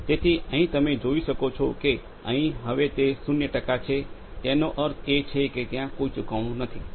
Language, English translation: Gujarati, So, here as you can see it is zero percent now that means it has no leakage at all